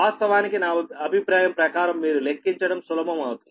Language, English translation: Telugu, in my opinion, then things will be easier for you to calculate